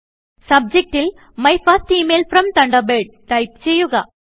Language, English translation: Malayalam, Now, in the Subject field, type My First Email From Thunderbird